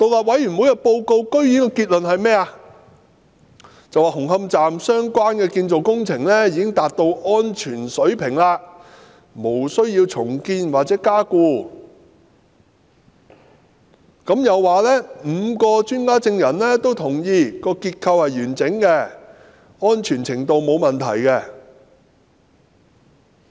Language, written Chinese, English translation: Cantonese, 委員會報告的結論居然表示紅磡站相關的建造工程達到安全水平，無須重建或加固，又說5位專家證人均認同結構完整，安全程度沒有問題。, In its report the Commission outrageously concluded that the construction works relating to Hung Hom Station are safe and no rebuilding or consolidation works would be necessary adding that the five expert witnesses all agreed on the structural integrity and safety of such works